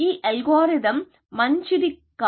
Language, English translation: Telugu, The algorithm idea is very simple